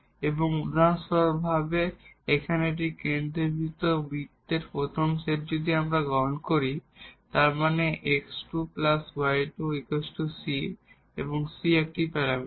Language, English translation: Bengali, And the examples here the first set of this concentric circles if we take; that means, x square plus y square is equal to c and c is a parameter